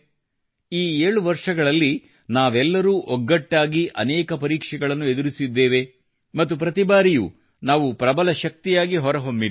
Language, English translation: Kannada, In these 7 years together, we have overcome many difficult tests as well, and each time we have all emerged stronger